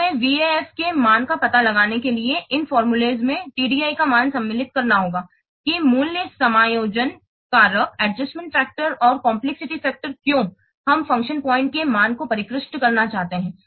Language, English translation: Hindi, Then we have to insert the value of TDI in this formula to find out the value of a VAAF that the value adjustment factor or complex factor